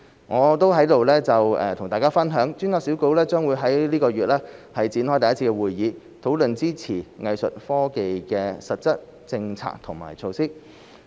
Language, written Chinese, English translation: Cantonese, 我在此與大家分享，專責小組將於這個月展開第一次會議，討論支持藝術科技的實質政策和措施。, I would like to share with Members that the task force will convene its first meeting this month to discuss concrete policies and measures to support Art Tech